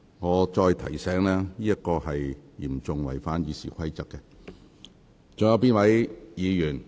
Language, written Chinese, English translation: Cantonese, 我提醒議員，有關行為嚴重違反《議事規則》。, I remind Members that this is a serious violation of the Rules of Procedure